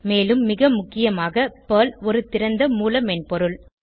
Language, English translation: Tamil, And most importantly, PERL is an open source language